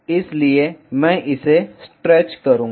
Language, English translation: Hindi, So, I will stretch it